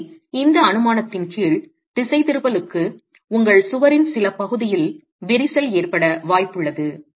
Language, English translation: Tamil, So, under this assumption, it's possible that for the deflection you have cracking in some part of the wall